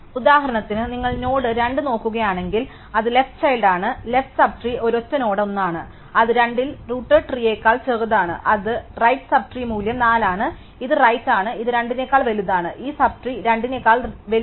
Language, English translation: Malayalam, So, if you look at the node 2 for example, it is left child, left sub trees just a single node 1 which is value smaller than in the tree rooted at 2 and it is right sub trees the value 4 which is the right it is a bigger than 2, the only value bigger than 2 this sub tree